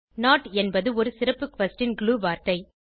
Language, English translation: Tamil, not is a special question glue word